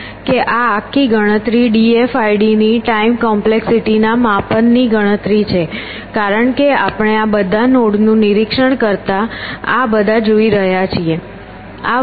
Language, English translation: Gujarati, B we are seen here this whole count is the count of measure of time complexity of d f i d because we are seeing all these inspecting all this nodes